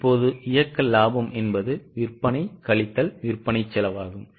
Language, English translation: Tamil, Operating profit is sales minus cost of sales